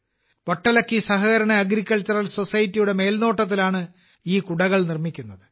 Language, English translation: Malayalam, These umbrellas are made under the supervision of ‘Vattalakki Cooperative Farming Society’